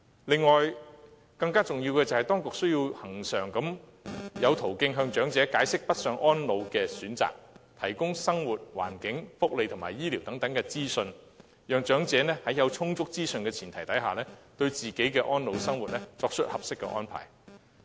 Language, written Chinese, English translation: Cantonese, 此外，更重要的是，當局需要有恆常途徑向長者解釋北上安老的選擇，提供生活環境、福利及醫療等資訊，讓長者在有充足資訊的前提下，對自己的安老生活作出合適的安排。, Furthermore it is even more important for the authorities to set up regular channels for explaining to elderly persons northbound elderly care options and providing them with information on areas such as the living environment welfare and health care thus allowing them to make informed choices about the appropriate arrangements for their advanced years